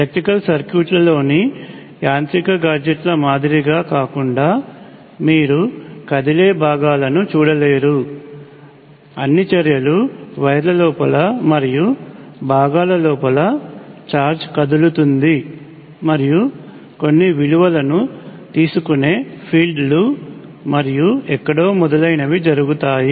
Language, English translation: Telugu, So, unlike a mechanical gadgets in an electrical circuit you do not say any moving parts; all the actions happens inside the wires and inside the components in the forms of charges moving and fields taking on some values and somewhere and so on